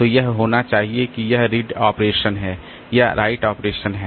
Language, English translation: Hindi, So, that should have this whether it is an read operation or a right operation